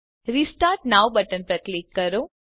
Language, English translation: Gujarati, Click on Restart now button